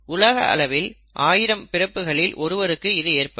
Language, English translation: Tamil, It occurs in about 1 in 1000 births across the world